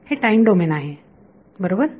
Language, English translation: Marathi, It is time domain right